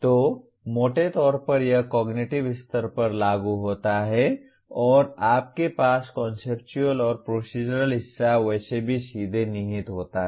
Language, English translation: Hindi, So broadly it belongs to the Apply cognitive level and you have Conceptual and Procedural part is anyway implied directly